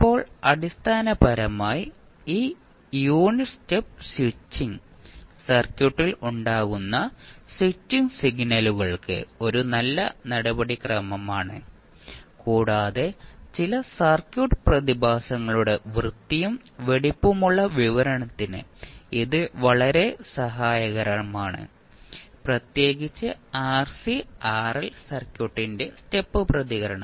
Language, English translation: Malayalam, Now, these basically the unit step serves as a good approximation to the switching signals that arise in the circuit with the switching operations and it is very helpful in the neat and compact description of some circuit phenomena especially the step response of rc and rl circuit